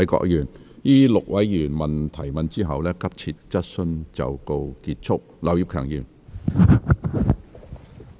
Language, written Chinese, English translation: Cantonese, 在這6位議員提問後，急切質詢環節即告結束。, After these six Members have asked their questions the urgent question session will come to a close